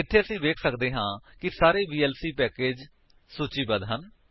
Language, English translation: Punjabi, Here we can see all the vlc packages are listed